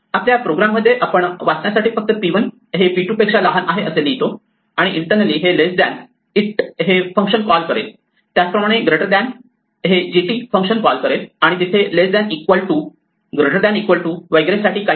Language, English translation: Marathi, We just write p 1 less then p 2 for readability enough in our program, and internally it will call a function less than lt, similarly greater than will call the function gt, and there is something for less than equal to greater then equal to and so on